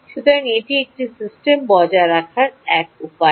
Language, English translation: Bengali, right, so thats one way of maintaining a system